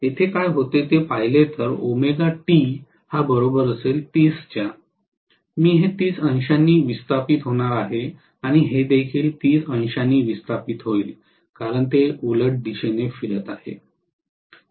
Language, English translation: Marathi, If I look at what happens at omega T equal to 30, I am going to have these displaced by 30 degrees and this also displaced by 30 degrees because it is rotating in opposite direction